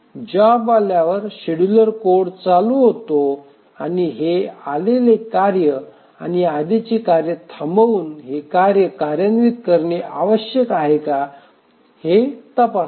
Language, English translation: Marathi, So as the job arrives, the scheduler code starts running and checks whether this is a task which has arrived needs to be executed by preempting the already executing task